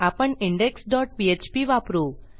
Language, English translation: Marathi, We will use our index dot php